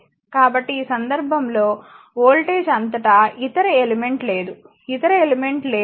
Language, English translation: Telugu, So, in this case voltage across in this case there is no other element here, right no other element